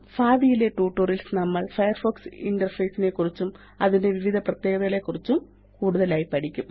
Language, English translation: Malayalam, In future tutorials, we will learn more about the Firefox interface and various other features